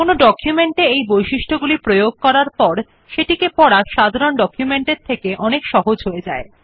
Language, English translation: Bengali, Applying these features in the documents make them more attractive and much easier to read as compared to the documents which are in plain text